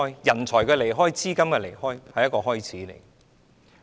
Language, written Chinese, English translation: Cantonese, 人才的離開、資金的離開，只是一個開始。, The drain of talents and funds is merely the beginning